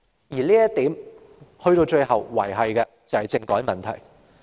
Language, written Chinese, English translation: Cantonese, 就這一點，到最後仍然連繫到政改問題。, In this connection it is after all related to constitutional reform